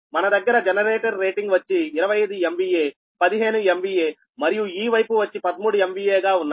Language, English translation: Telugu, we have all the generate rating is twenty five m v a, fifteen m v a and this side is thirteen m v a